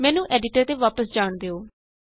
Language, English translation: Punjabi, Let me go back to the editor